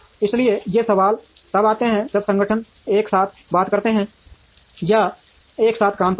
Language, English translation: Hindi, So, these questions come when organizations talk together or work together